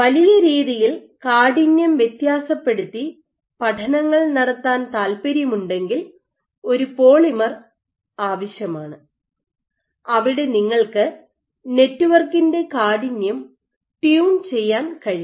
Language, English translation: Malayalam, If you want to you want to conduct studies where you are varying the stiffness over a large range you need a polymer where you can tune the stiffness of the network